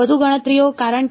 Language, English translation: Gujarati, More computations because